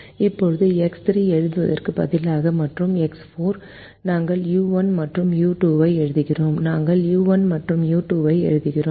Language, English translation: Tamil, now, instead of writing x three and x four, we write u one and u two